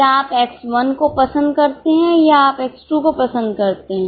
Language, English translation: Hindi, Do you prefer X1 or do you prefer X2